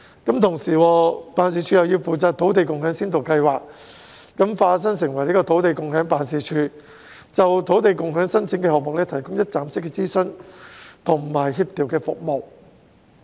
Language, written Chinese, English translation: Cantonese, 辦事處同時要化身成為土地共享辦事處，負責土地共享先導計劃，就土地共享申請項目提供一站式諮詢和協調服務。, At the same time the Office also needs to take up the role as the Land Sharing Office to oversee the Land Sharing Pilot Scheme and provide one - stop advisory and facilitation services on the applications of the land sharing projects